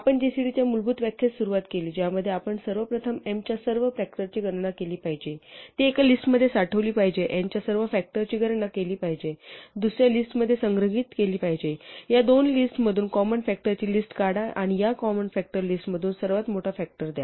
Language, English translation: Marathi, We started with the basic definition of gcd, which said that we should first compute all the factors of m, store it in a list, compute all the factors of n, store it in another list, from these two lists, extract the list of common factors and report the largest one in this common factor list